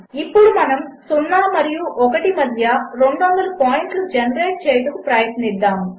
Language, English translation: Telugu, Now lets try to generate 200 points between 0 and 1